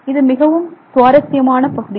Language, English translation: Tamil, It's a very interesting area